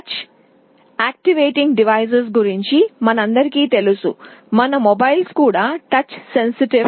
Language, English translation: Telugu, We are all familiar with many of the touch activated devices, like our mobiles are touch sensitive